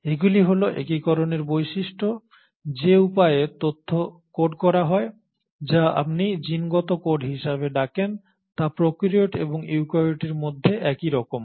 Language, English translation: Bengali, And the unifying features are these; the way in which the information is coded which is what you call as genetic code is similar between prokaryotes and eukaryotes